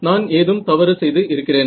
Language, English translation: Tamil, So, did I make a mistake